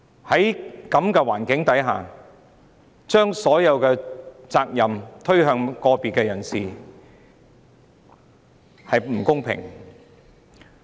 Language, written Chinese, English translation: Cantonese, 在這情況下，將所有責任加諸個別人士身上，並不公平。, Under such circumstances it is simply unfair to put all the blame on an individual person